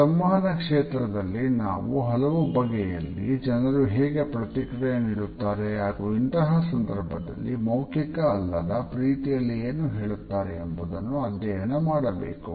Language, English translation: Kannada, In the area of communication we also study how in different ways people respond to it and thereby what type of nonverbal messages they try to communicate with it